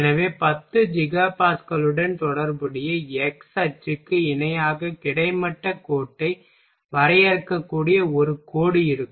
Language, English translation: Tamil, So, there will be a line we can draw horizontal line parallel to x axis corresponding to 10 Giga Pascal